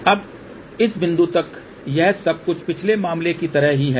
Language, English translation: Hindi, Now, till this point this everything is same as in the previous case